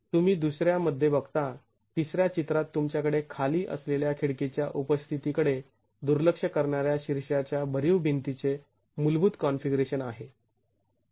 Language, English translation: Marathi, So you see in the second, in the third picture you have the basic configuration at the top, the solid wall neglecting the presence of the windows below